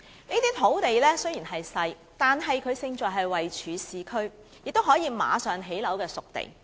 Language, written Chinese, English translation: Cantonese, 這些土地雖然細小，但是勝在位處市區，是可以立即興建樓宇的"熟地"。, Although these sites are small they have merits in that they are situated in the urban area and disposed sites readily available for housing construction